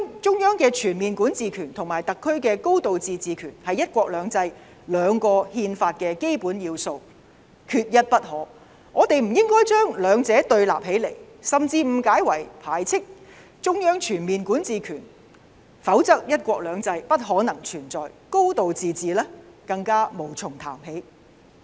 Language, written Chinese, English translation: Cantonese, 中央的全面管治權和特區的"高度自治"權是"一國兩制"的基本要素，缺一不可，我們不應該把兩者對立，甚至誤解為排斥中央全面管治權，否則"一國兩制"不可能存在，"高度自治"更無從談起。, The Central Governments overall jurisdiction and the SARs high degree of autonomy are the two major elements under the one country two systems framework they are indispensable . We should not put one against the other and we should not even misinterpret that the Central Governments overall jurisdiction is totally excluded otherwise the one country two systems framework will have no room to exist and there is no way to talk about high degree of autonomy